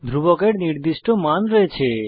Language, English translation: Bengali, Constants are fixed values